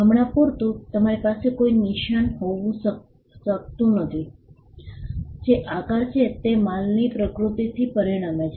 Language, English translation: Gujarati, For instance, you cannot have a mark which is a shape that results from the nature of goods themselves